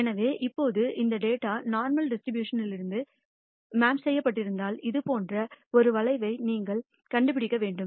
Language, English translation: Tamil, So now, if this data has been drawn from the normal distribution then you should find a curve like this